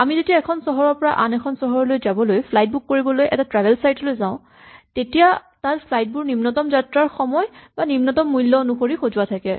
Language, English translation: Assamese, For instance, when we go to a travel booking site and we try to book a flight from one city to another city it will offer to arrange the flights in terms of the minimum time or the minimum cost